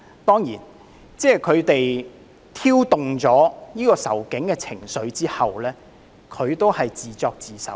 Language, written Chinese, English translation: Cantonese, 當然，他們在挑動仇警的情緒後，他們也只是自作自受。, Certainly after stirring up animosity towards the Police they only got their just deserts